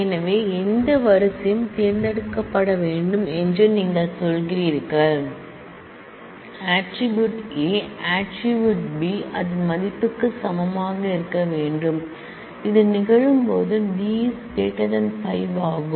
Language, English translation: Tamil, So, you are saying that that any row to be selected, the value of it is A attribute should equal the value of it is B attribute and when that happens the value of it is D attribute must be greater than 5